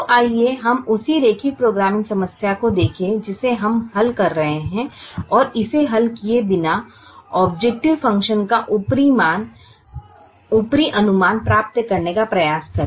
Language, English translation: Hindi, so let us look at the same linear programming problem that we have been solving and try to get an upper estimate of the objective function without solving it